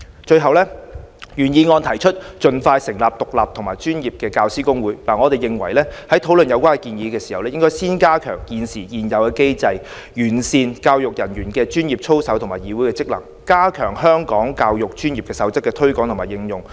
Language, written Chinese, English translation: Cantonese, 最後，原議案提出"盡快成立獨立和專業的教師公會"，我們認為在討論有關建議前，應該先加強現有的機制，完善教育人員專業操守議會的職能，加強《香港教育專業守則》的推廣和應用。, Lastly regarding the measure of expeditiously establishing an independent and professional General Teaching Council proposed in the original motion we hold that before this proposal is put on the table the Government should improve the existing mechanism to perfect the functions of the Council on Professional Conduct in Education and step up the promotion and application of the Code for the Education Profession of Hong Kong